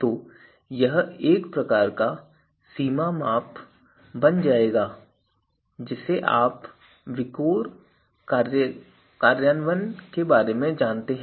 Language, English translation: Hindi, So, this will become a kind of a boundary measure you know over all VIKOR implementation